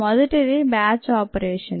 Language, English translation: Telugu, the first one is a batch operation